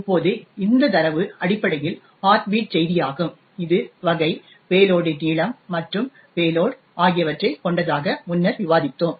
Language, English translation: Tamil, Now, this data is essentially the heartbeat bit message, which we have discussed earlier comprising of the type, the length of the payload and the payload itself